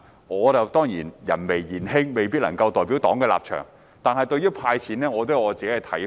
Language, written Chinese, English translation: Cantonese, 我人微言輕，未必能夠代表黨的立場，但對於"派錢"，我也有自己的看法。, As I am in a low position my words carry little weight and may not be able to represent the stance of my political party . Yet I have my own views towards the distribution of cash handouts